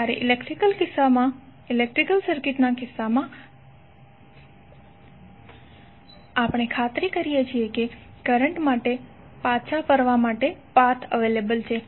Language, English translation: Gujarati, While in case of electrical circuit we make sure that there is a return path for current to flow